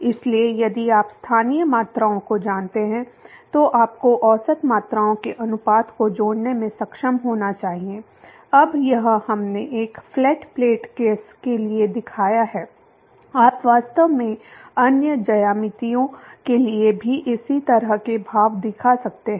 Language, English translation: Hindi, So, if you know the local quantities then you should be able to relate the ratios of the average quantities now this we have shown for a flat plate case you could actually shows similar expressions for other geometrics too